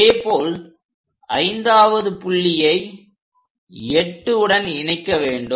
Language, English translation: Tamil, Similarly, join 5th one to point 8